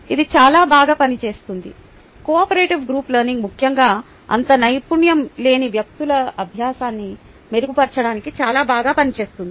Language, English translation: Telugu, the cooperative group learning works very well, especially to improve the learning of people who are not so skilled